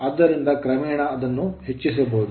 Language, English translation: Kannada, So, gradually it can be increased